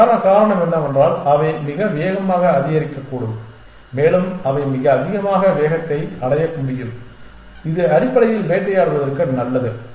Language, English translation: Tamil, And the reason for that is that they can escalate very fast and they can attain very high speeds which is good for hunting essentially